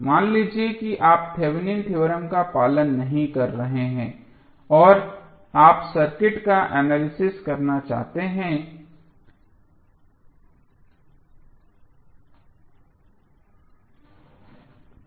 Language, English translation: Hindi, Suppose you are not following the Thevenin theorem and you want to analyze the circuit what you will do